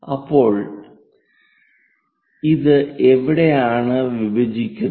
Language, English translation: Malayalam, So, where it is intersecting